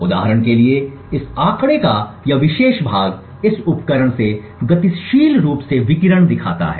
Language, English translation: Hindi, So for example over here this particular part of this figure shows dynamically the radiation from this device